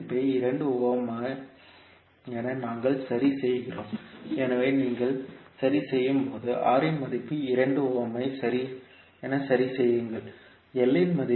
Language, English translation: Tamil, So we fix the value of R as 2 ohm, so when you fix, when you fix the value of R as 2 ohm